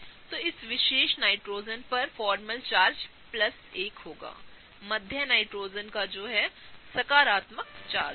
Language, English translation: Hindi, So, the formal charge on this particular Nitrogen will be plus 1; the middle nitrogen will have a positive charge